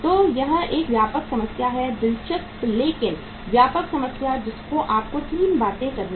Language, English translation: Hindi, So it is a comprehensive problem, interesting but comprehensive problem where you have to do 3 things